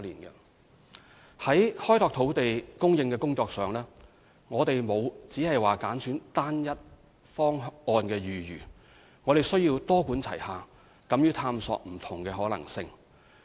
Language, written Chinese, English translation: Cantonese, 在開拓土地供應的工作上，我們沒有只挑單一方案的餘地，而必須多管齊下，敢於探索不同的可能性。, We cannot afford to just pursue one single option to develop land but take a multi - pronged approach and be prepared to explore various possibilities